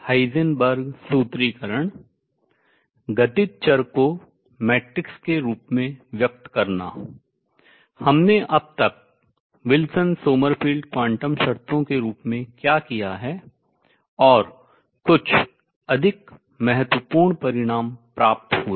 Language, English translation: Hindi, What we done so far as did the Wilson Sommerfeld quantum conditions, and got some result more importantly